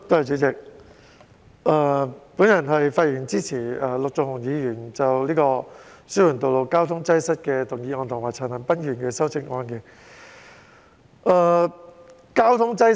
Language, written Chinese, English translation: Cantonese, 主席，我發言支持陸頌雄議員提出的"紓緩道路交通擠塞"原議案，以及陳恒鑌議員的修正案。, President I speak in support of the original motion Alleviating road traffic congestion proposed by Mr LUK Chung - hung and the amendment by Mr CHAN Han - pan